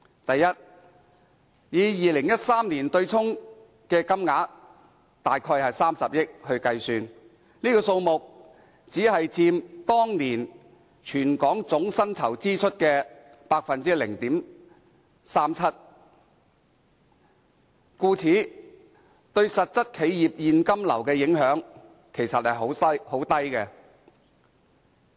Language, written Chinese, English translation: Cantonese, 第一，以2013年的對沖金額計算，這數目只佔當年全港總薪酬支出的 0.37%， 對實質企業現金流的影響其實很低。, Firstly based on the offsetting amount in 2013 it only accounted for 0.37 % of the territorys total wage bill and was therefore insignificant to the actual cash flow of enterprises